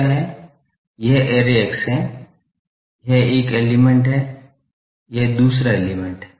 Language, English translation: Hindi, This is the array axis, this is one element, this is another element